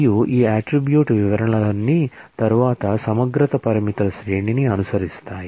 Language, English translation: Telugu, And all of these attribute descriptions, are then followed by a series of integrity constraints